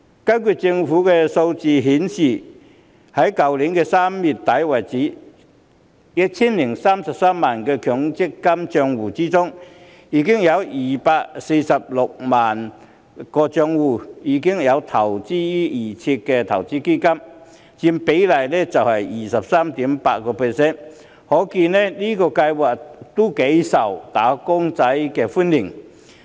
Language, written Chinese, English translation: Cantonese, 根據政府的數字顯示，截至今年3月底為止，在 1,033 萬個強積金帳戶之中，有246萬個帳戶已經選擇預設投資策略成分基金，所佔比例為 23.8%， 可見這個計劃亦頗受"打工仔"歡迎。, According to the figures provided by the Government as at the end of March this year 2.46 million out of the 10.33 million MPF accounts have chosen to invest in constituent funds under DIS representing a ratio of 23.8 % . This shows that this scheme is quite popular among wage earners